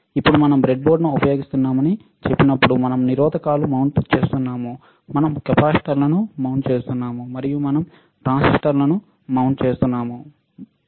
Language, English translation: Telugu, Now, when we say that we are using the breadboard we are we are mounting the resisters, we are mounting the capacitors and we are mounting transistors